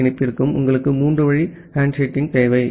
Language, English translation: Tamil, Now, for every TCP connection you require three way handshaking